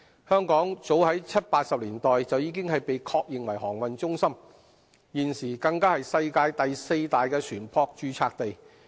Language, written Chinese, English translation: Cantonese, 香港早於七八十年代已被確認為航運中心，現時更是世界第四大船舶註冊地。, Hong Kong has already been acknowledged as a maritime centre in as early as the 1970s and 1980s and is now the fourth largest shipping register in the world